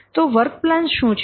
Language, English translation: Gujarati, So, what is your work plan